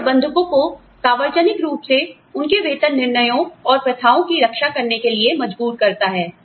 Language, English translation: Hindi, It forces managers to defend, their pay decisions and practices, publicly